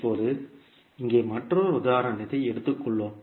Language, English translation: Tamil, Now, let us take another example here